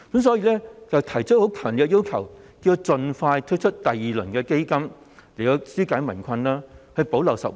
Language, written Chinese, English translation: Cantonese, 所以，他們提出強烈的要求，要政府盡快推出第二輪基金，以紓解民困，補漏拾遺。, So they have expressed a strong request that the Government should launch a second round of Anti - epidemic Fund measures expeditiously so as to relieve their hardship and plug gaps in the existing measures